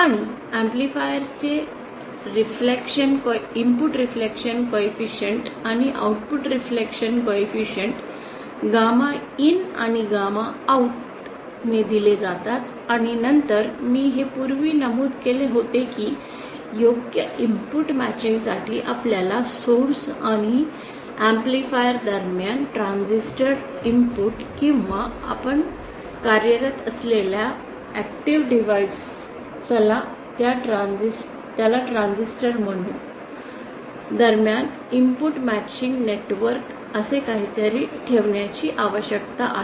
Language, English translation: Marathi, And the input reflection coefficient and the output reflection coefficient of the amplifier are given gamma in and gamma OUT and then I had also mentioned this earlier that for proper input matching we need to place something called input matching network between the source and the amplifier input of the of the transistor or the active device that you are working